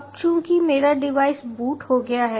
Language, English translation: Hindi, now it is, my device is booted up